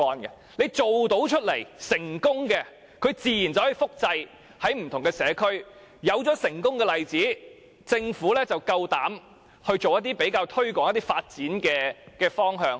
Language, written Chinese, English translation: Cantonese, 墟市辦得到、辦得成功，自然便可以在不同的社區複製。有了成功的例子，政府便敢於推行一些發展的方向。, If bazaars are successfully held they can naturally be replicated in different communities and with successful examples the Government will boldly introduce certain directions of development